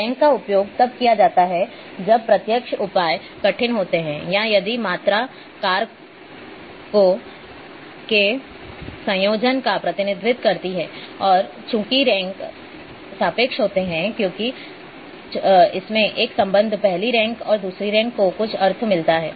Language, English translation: Hindi, Ranks are used when direct measures are difficult or if the quantity represents a combination of factors and since the ranks are relative because, it has got a relationship the first rank and second rank has got some meaning